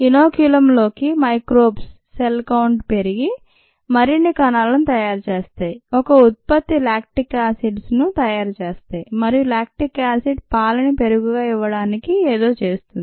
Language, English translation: Telugu, the cells in the inoculum multiply and make more cells, make a product lactic acid, and the lactic acid does something to the milk to give you curd